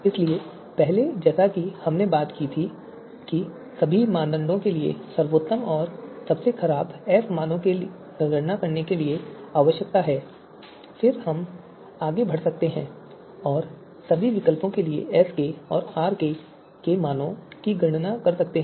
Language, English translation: Hindi, So first to as we talked about that best and worst f values need to be computed for all criteria then we can go ahead and compute SK and RK values for all the alternatives